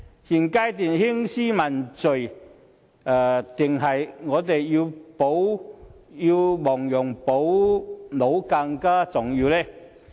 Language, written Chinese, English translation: Cantonese, 現階段興師問罪重要，還是我們要亡羊補牢更重要呢？, At this stage which do they think is more important holding people accountable or making rectification?